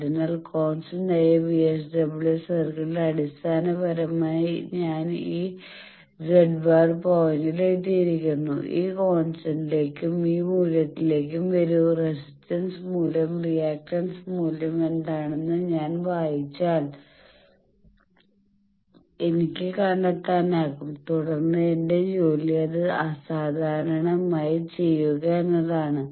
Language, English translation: Malayalam, So, on constant VSWR circle basically I have come to this z one point come to this point and this value if I read that what is the resistance value and reactance values then that I can find and then my job is to ab normalize it to that